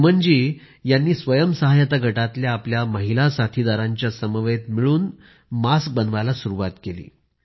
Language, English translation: Marathi, Suman ji , alongwith her friends of a self help group started making Khadi masks